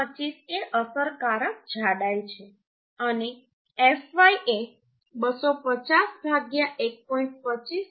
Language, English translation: Gujarati, 25 is the effective thickness and fy is 250 by 1